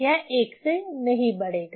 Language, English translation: Hindi, So, it will increase by 1